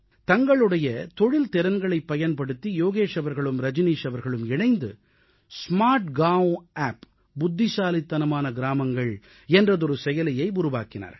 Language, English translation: Tamil, With their joint efforts, Yogesh ji and Rajneesh ji have developed a SmartGaonApp by utilizing their professional skills